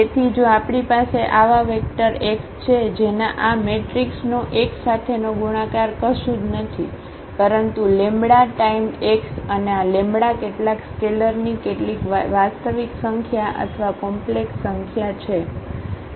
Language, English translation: Gujarati, So, if we have such a vector x whose multiplication with this given matrix a Ax is nothing, but the lambda time x and this lambda is some scalar some real number or a complex number